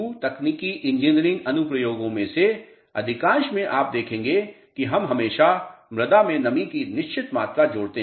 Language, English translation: Hindi, Most of the geotechnical engineering applications you will notice that we always add certain amount of moisture to the soil